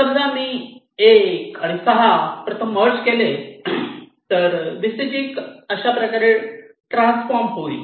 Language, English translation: Marathi, suppose i merge one, six, so my vcg gets transform in to this